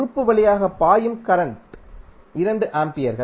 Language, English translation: Tamil, Current which is flowing through an element is 2 amperes